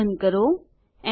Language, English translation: Gujarati, Close the brace